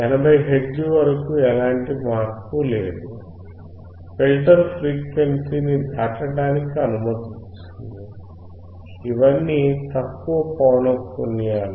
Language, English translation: Telugu, Up to 80 hertz there is no change; the filter is allowing the frequency to pass through; all these are low frequencies